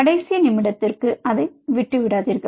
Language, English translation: Tamil, do not leave it for the last minute